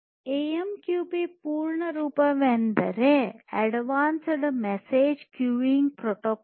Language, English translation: Kannada, So, AMQP full form is Advanced Message Queuing Protocol